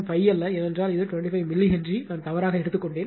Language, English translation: Tamil, 5, because it is 25 milli Henry by mistake I took it